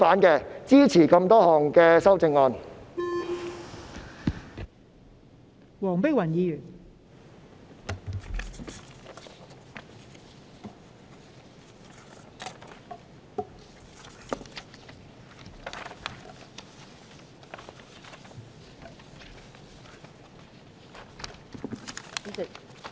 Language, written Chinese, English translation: Cantonese, 因此，我會支持所有修正案。, Hence I will support all the amendments